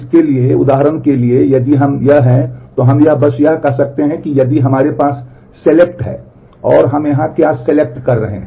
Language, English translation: Hindi, So, for example, if this is we can we can simply write out say if we have select and what are we selecting here